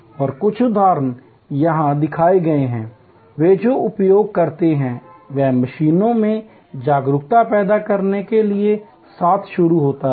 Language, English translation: Hindi, And some of the examples are shown here, the use they start with awareness creation among patients